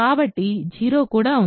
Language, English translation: Telugu, So, 0 is also there